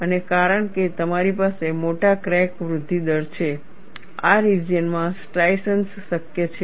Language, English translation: Gujarati, And because you have larger crack growth rate, in this region, striations are possible